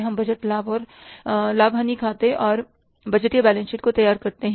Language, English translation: Hindi, We prepare the budgeted profit and loss account and the budgeted balance sheet